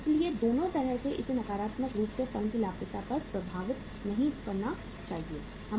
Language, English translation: Hindi, So in both the ways it should not impact up the profitability of the firm negatively